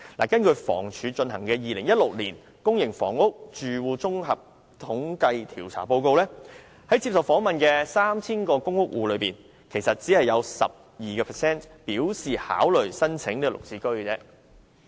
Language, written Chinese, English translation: Cantonese, 根據房屋署進行的 "2016 年公營房屋住戶綜合統計調查報告"，在受訪的 3,000 個公屋戶中，其實只有 12% 表示會考慮購買"綠置居"。, According to the Public Housing Recurrent Survey 2016 conducted by the Hong Kong Housing Authority of the 3 000 PRH households interviewed only 12 % actually indicated a willingness to consider buying GHS flats